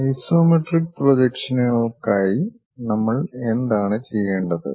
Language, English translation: Malayalam, And for isometric projections, what we have to do